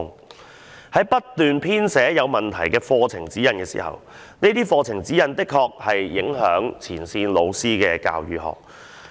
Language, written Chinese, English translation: Cantonese, 課程發展處不斷編寫有問題的課程指引，而這些課程指引確實會影響前線老師的教學工作。, The CDI keeps preparing problematic curriculum guidelines that will indeed affect the teaching of frontline teachers